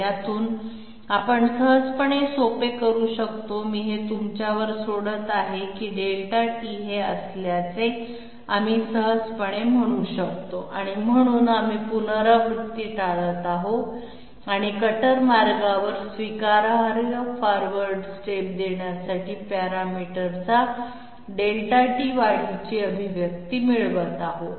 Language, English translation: Marathi, From this one we can easily simplify, I am leaving this to you we can easily simplify that Delta t comes out to be this one, so we are avoiding iteration and getting an expression of Delta t increment of parameter along the cutter path in order to give acceptable forward step